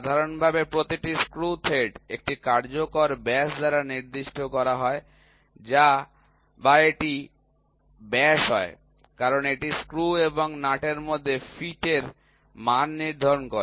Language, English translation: Bengali, In general, each screw thread is specified by an effective diameter or if it is diameter as it decides the quality of the fit between the screw and a nut